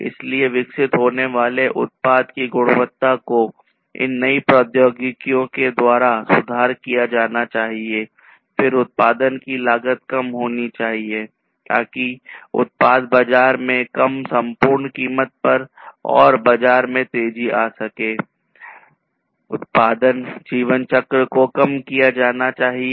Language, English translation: Hindi, So, the quality of the product that is developed should be improved with the introduction of these newer technologies, then the cost of the production should be less, so that the overall product comes to the market at a reduced price and comes faster to the market, the production lifecycle should be reduced